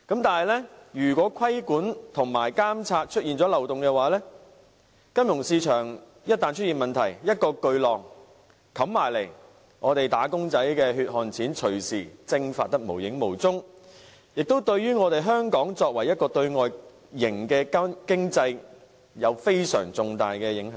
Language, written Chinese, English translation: Cantonese, 可是，如果規管和監察出現漏洞，以致金融市場出現問題，一個巨浪打過來，"打工仔"的血汗錢隨時會蒸發得無影無蹤，亦對香港這個外向型經濟有相當重大的影響。, Nevertheless if problems arise in the financial market due to regulatory or monitoring loopholes the hard - earned money of our employees will evaporate any time at the crash of a giant wave and Hong Kong as an externally - oriented economy will sustain very heavy impact